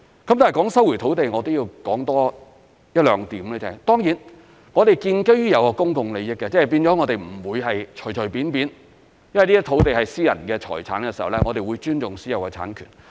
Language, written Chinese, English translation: Cantonese, 談到收回土地，還要多說一兩點，當然我們是建基於公共利益的，即不會隨隨便便收回的，因這些土地是私人財產，我們會尊重私有產權。, I would like to add a couple of points on land resumption . We will of course resume land based on public interests and rather than arbitrarily . As land is private property we must respect private property rights